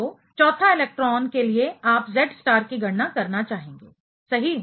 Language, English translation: Hindi, So, the fourth electron you would like to calculate the Z star for right